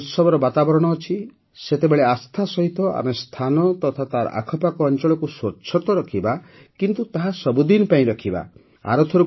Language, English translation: Odia, And during the festive atmosphere, we have to keep holy places and their vicinity clean; albeit for all times